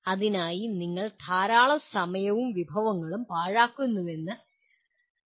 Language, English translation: Malayalam, It is not worth giving that you waste such a lot of time and resources for that